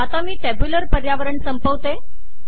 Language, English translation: Marathi, Let me end this tabular environment